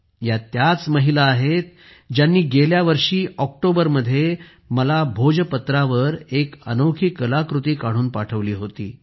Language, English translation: Marathi, These are the women who had presented me a unique artwork on Bhojpatra in October last year